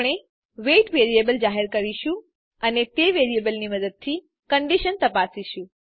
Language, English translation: Gujarati, We shall define a variable weight and check for a condition using that variable